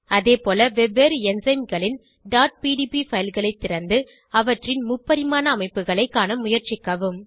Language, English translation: Tamil, Similarly try to open .pdb files of different enzymes and view their 3D structures